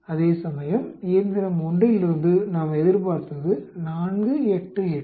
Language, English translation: Tamil, Whereas we expect 4, 8, 8 from machine 1